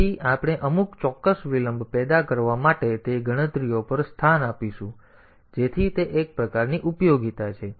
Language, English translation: Gujarati, So, we will look into those calculations to produce some exact delays, so that is one type of utility